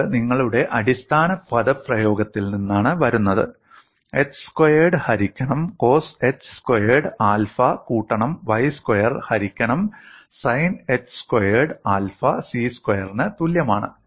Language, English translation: Malayalam, And this comes from your basic expression, x square by cos h squared alpha, plus y square, by sin h squared alpha equal to c square